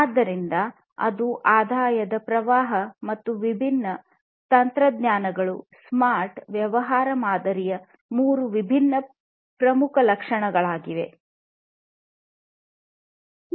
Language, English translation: Kannada, So, that is the revenue stream and the different technologies that are going to be used these are the three different key attributes of a smart business model